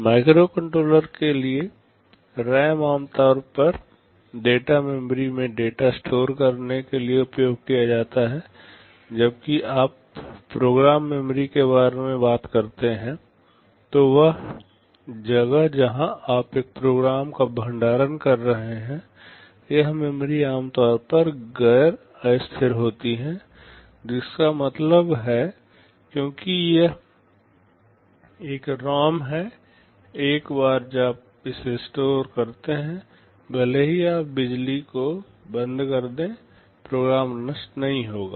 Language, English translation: Hindi, For microcontroller RAMs are typically used to store data in the data memory, but when you talking about program memory the place where you are storing a program, this memory is typically non volatile; which means because it is a ROM, once you store it even if you switch off the power the program will not get destroyed